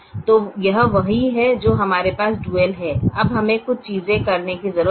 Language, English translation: Hindi, so this is what we have as the dual now we need to do a few things now